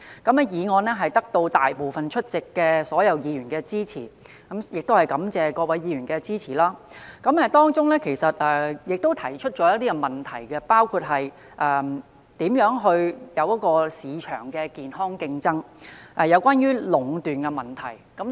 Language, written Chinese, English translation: Cantonese, 這項議案獲得大部分出席議員的支持——我要感謝各位議員的支持——而當中，我其實提出了一些問題，包括如何促進市場健康競爭及有關壟斷的問題。, This motion was supported by most of the Members who were present then―I wish to thank Members for their support―and I actually brought up some issues through this motion including how to promote healthy market competition and the problem of monopoly